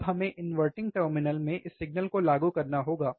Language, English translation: Hindi, Now this signal we have to apply to the inverting terminal